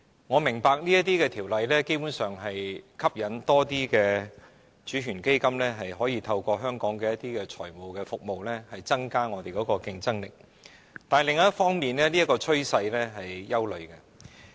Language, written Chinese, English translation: Cantonese, 我明白這類法例基本上能吸引更多主權基金透過香港的財務服務增加我們的競爭力，但另一方面，這個趨勢卻令人憂慮。, On the one hand I understand that this kind of legislation can basically attract more sovereign wealth funds which can increase our competitiveness through Hong Kongs financial services but on the other hand this is a worrying trend